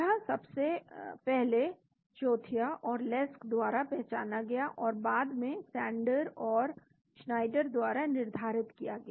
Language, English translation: Hindi, This is first identified by Chothia and Lesk and later quantified by Sander and Schneider